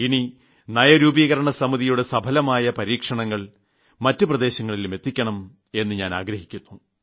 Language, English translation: Malayalam, I would like that in future, through the Niti Aayog, the exceptionally successful efforts of these states should be applied to other states also